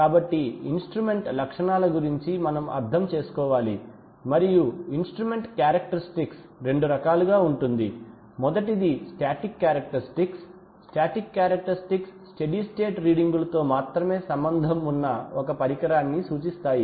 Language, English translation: Telugu, so we need to understand about instrument characteristics and instrument characteristics can be of two types, the first is the static characteristics, static characteristics implies that of an instrument that concerned only with steady state readings